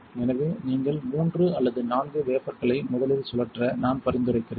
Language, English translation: Tamil, So, I recommend if you are doing three or four wafers to spin them all first